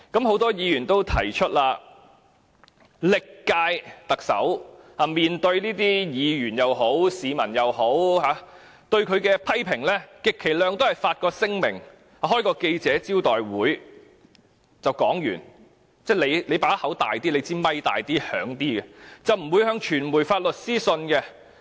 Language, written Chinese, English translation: Cantonese, 很多議員也曾提出，歷屆特首面對議員或市民的批評時，充其量只會發出聲明或召開記者招待會解釋事件，透過麥克風發表意見，不會向傳媒發律師信。, Members have suggested that in the face of criticisms made by Members or members of the public the former Chief Executives would at most issue statements or convene press conferences for clarification . They would only express their views through microphones but would not send legal letters to the media